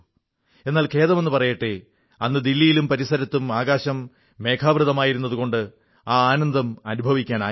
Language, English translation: Malayalam, But unfortunately, on that day overcast skies in Delhi prevented me from enjoying the sight